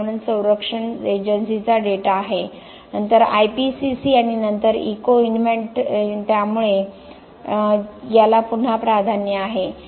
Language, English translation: Marathi, S environment protection agency data then the IPCC and then the Ecoinvent, so this is again the priority